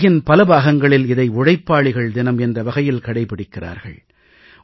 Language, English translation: Tamil, In many parts of the world, it is observed as 'Labour Day'